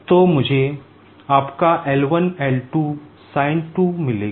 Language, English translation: Hindi, So, I will be getting your L1 L2 sinθ2